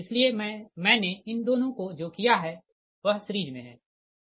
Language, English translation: Hindi, so what i have done, these two are in series